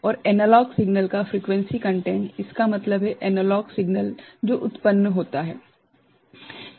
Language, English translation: Hindi, And frequency content of the analog signal; that means, the analog signal that is produced